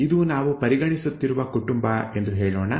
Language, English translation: Kannada, Let us say that this is a family that we are considering